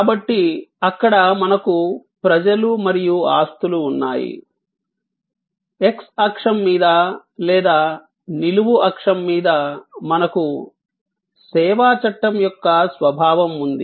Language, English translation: Telugu, So, there we have people and possessions, on the x axis or on the vertical axis we have the nature of the service act